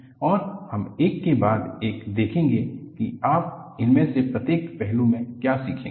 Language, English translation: Hindi, And, we would see one after another, what you will learn in each of these aspects